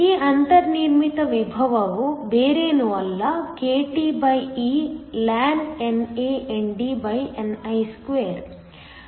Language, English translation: Kannada, This built in potential is nothing but kTeln NANDni2